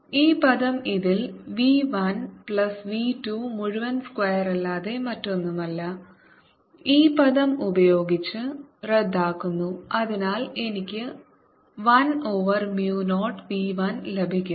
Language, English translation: Malayalam, this term is nothing but v one plus v two whole square in this cancels with this term and therefore i get one over mu zero v one